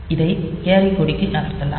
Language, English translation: Tamil, So, this can be moved to the carry flag